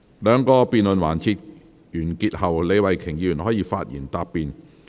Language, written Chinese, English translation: Cantonese, 兩個辯論環節完結後，李慧琼議員可發言答辯。, After the two debate sessions have ended Ms Starry LEE may reply